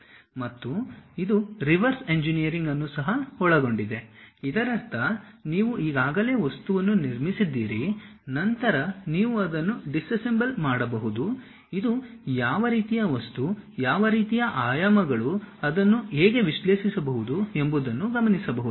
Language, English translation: Kannada, And also it includes reverse engineering; that means, you already have constructed the object, then you can disassemble it, observe what kind of material, what kind of dimensions, how to really analyze that also possible